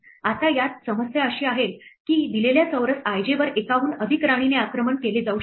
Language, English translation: Marathi, Now the problem with this is that a given square i j could be attacked by more than one queen right